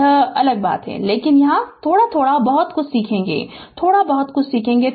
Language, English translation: Hindi, That is a different thing, but here just little bit little bit we will learn little bit we will learn